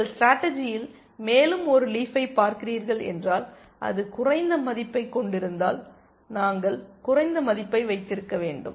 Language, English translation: Tamil, And if you are looking at one more leaf in the strategy, and if it has a lower value, we must keep the lower value